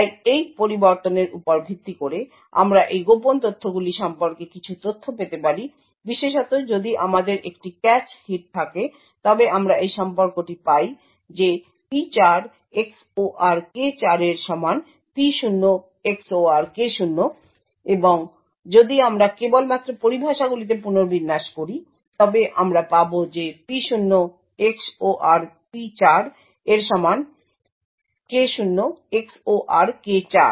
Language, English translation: Bengali, So the based on this variation we can obtain some information about these secret fields, specifically if we have a cache hit then we obtain this relation that P0 XOR K0 is equal to P4 XOR K4 and if we just rearrange the terms we get K0 XOR K4 is equal to P0 XOR P4